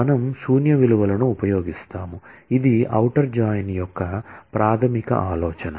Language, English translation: Telugu, So, we will use null values this is the basic idea of outer join